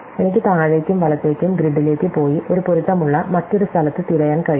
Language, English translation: Malayalam, So, I can go down and right in the grid and look for in other place where there is a match